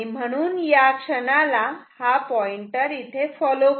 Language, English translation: Marathi, So, at this instant follow of the pointer ok